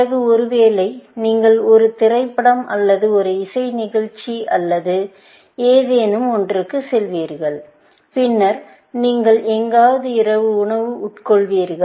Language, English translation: Tamil, maybe, you will go to a movie or a music show or something, and then, you will have dinner somewhere, essentially